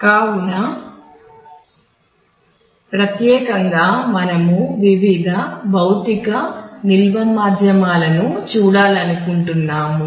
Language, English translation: Telugu, So, specifically we want to look at various physical storage medium because